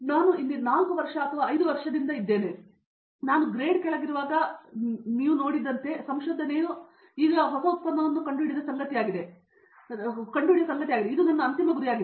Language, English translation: Kannada, It’s been like 4 years or 5 years I have been here, and so when you see when I was in under grade so I thought the research is something you invent a new product and that is the ultimate goal